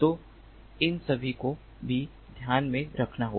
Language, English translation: Hindi, so all these also have to be taken into consideration